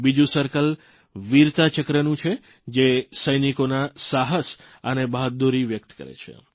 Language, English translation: Gujarati, The second circle, Veerta Chakra, depicts the courage and bravery of our soldiers